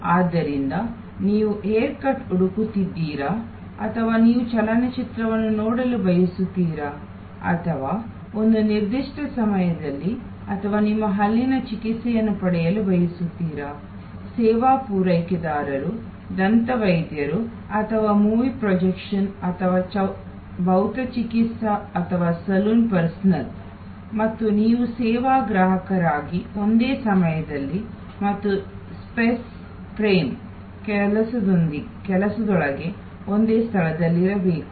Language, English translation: Kannada, So, whether you are looking for a hair cut or you are wanting to see a movie or at a particular point of time or you are wanting to get your dental treatment, the service provider, the dentist or the movie projection or the physiotherapist or the saloon personal and you as a service consumer must be there at the same place within the same time and space frame work